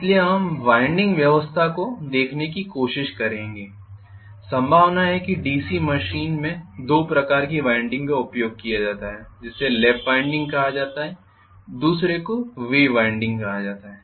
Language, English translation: Hindi, So we will try to look at the winding arrangements likely there are 2 types of winding that are used in DC machine one is called Lap winding the other one is called Wave winding